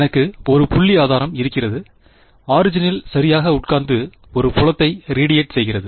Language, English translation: Tamil, I have a point source sitting at the origin alright and radiating a field